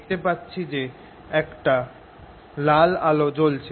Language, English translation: Bengali, you see the red light coming